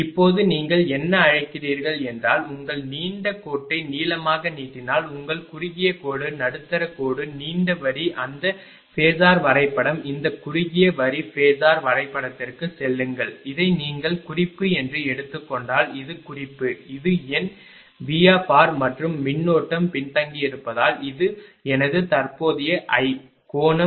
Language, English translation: Tamil, Now if you if you your what you call if you draw the ah your that your long line short ah your short line, medium line, long line those phasor diagram go to that short line phasor diagram then if you take this is reference, this is reference, this is my V r, and current is lagging so this is my current i, right these angle is theta